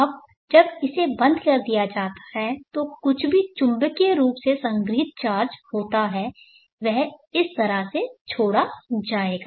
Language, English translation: Hindi, Ad when this is switched off whatever magnetically stored charge is there it will get released in this fashion